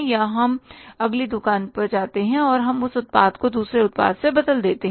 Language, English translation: Hindi, Either we go to the next shop or we replace that product with the other product